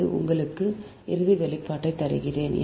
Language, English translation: Tamil, i am giving you the final expression